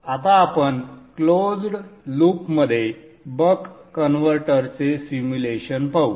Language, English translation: Marathi, We shall now look at the simulation of a buck converter in closed loop